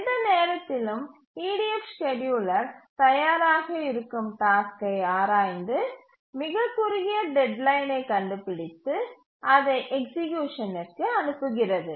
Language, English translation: Tamil, In the EDF at any time the scheduler examines the tasks that are ready, finds out which has the shorter deadline, the shortest deadline and then dispatches it for execution